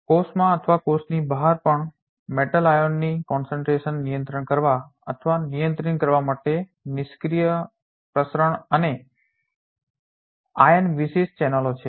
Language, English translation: Gujarati, So, there are passive diffusion and ion specific channels to regulate or to modulate the concentration of metal ions in the cell or even outside the cell